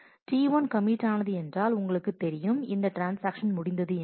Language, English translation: Tamil, As T 1 commits, you know that this transaction is done with